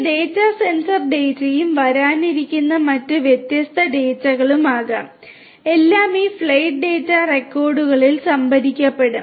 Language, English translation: Malayalam, These data could be sensor data and different other data that are coming would be all stored in these flight data recorders